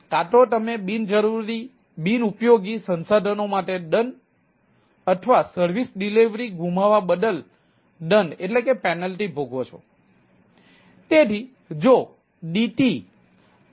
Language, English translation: Gujarati, either you penalty for unused resource or suffer for penalty for missing the service delivery right